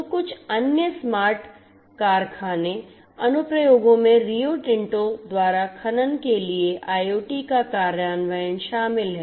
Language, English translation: Hindi, So, some other smart factory applications include the implementation of IoT by Rio Tinto for mining